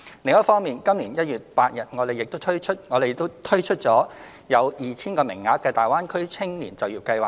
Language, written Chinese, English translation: Cantonese, 另一方面，今年1月8日，我們亦推出了有 2,000 個名額的大灣區青年就業計劃。, In addition we rolled out the Greater Bay Area Youth Employment Scheme on 8 January this year with 2 000 places